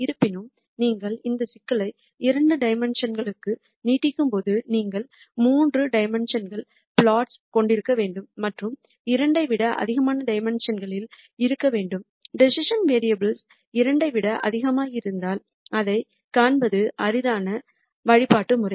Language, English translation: Tamil, However, when you just extend this problem to two dimensions then you have to have 3 dimensional plots and in dimensions higher than 2, if the decision variables are more than 2 then it is di cult to visualize